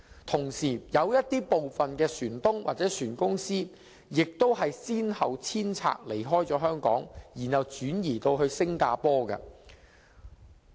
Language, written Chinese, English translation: Cantonese, 同時，有部分船東或船公司亦先後遷拆，離開香港，轉移至新加坡。, At the same time some ship owners or ship companies have closed down their business in Hong Kong one after another and moved to Singapore